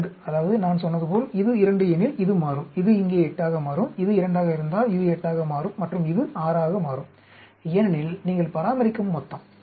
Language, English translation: Tamil, 2 means, as I said if it is 2, this will become, this will become 8 here, if it is 2, this will become 8 and this will become 6, because the total you are maintaining